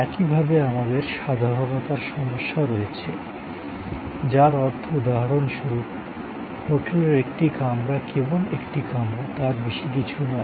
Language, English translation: Bengali, Similarly, we have the problem of generality, which means for example, a hotel room is a hotel room